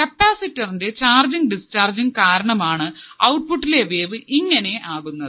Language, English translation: Malayalam, The charging and discharging of the capacitor will form the wave at the output